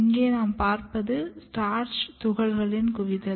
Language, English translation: Tamil, You see here this is starch granules accumulation just now I say